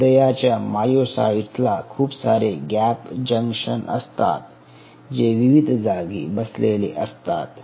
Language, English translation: Marathi, cardiac myocytes have lot of gap junctions which are sitting at different spot